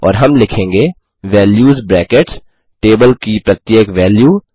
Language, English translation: Hindi, And we will say values brackets, each value of the table